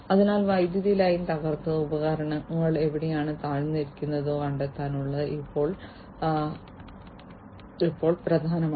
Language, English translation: Malayalam, So, it is now important to locate the point where the power line is broken or where the equipment you know has gone down